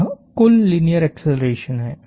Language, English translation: Hindi, This is the total linear acceleration